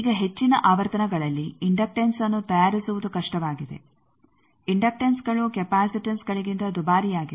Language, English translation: Kannada, Now, fabricating an inductance is difficult at high frequencies also inductances are costlier than capacitances